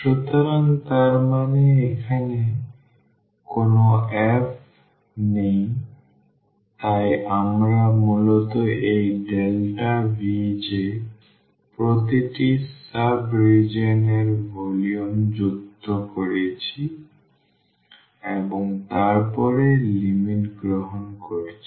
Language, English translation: Bengali, So; that means, there is no f here so we are basically adding this delta V j the volume of each sub region and then taking the limit